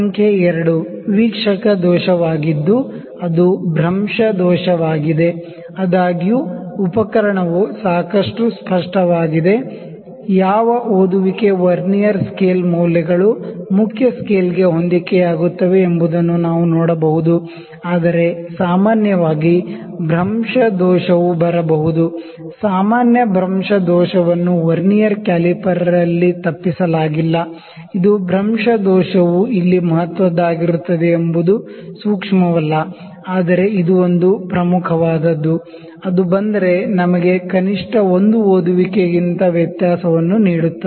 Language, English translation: Kannada, Number 2 is the observer error that is parallax error; however, the instrument is quite clear, the we can see which reading is coinciding which of the Vernier scale readings coinciding with the main scale, but in general parallax error could also come; not in Vernier caliper in general parallax error is avoided, this is it is instrumented is not that sensitive that parallax error would be significant here, but it is an important, error if it comes it can give us difference of 1 reading at least